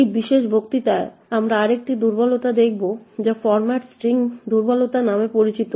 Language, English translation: Bengali, In this particular lecture we will look at another vulnerability which is known as the Format String vulnerability